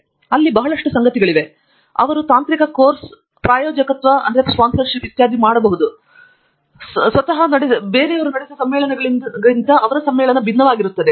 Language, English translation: Kannada, There is lot of things there, they will give something called Technical course sponsorship etcetera, etcetera those are different from the conferences that the society itself runs